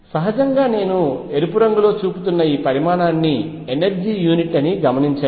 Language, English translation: Telugu, Notice that naturally this quantity which I am encircling by red is unit of energy you can easily check that